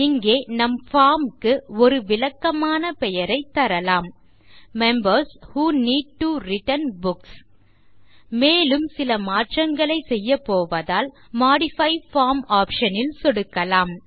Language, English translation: Tamil, Here let us give a descriptive name to our form: Members Who Need to Return Books And let us click on the Modify form option, as we are going to do some more changes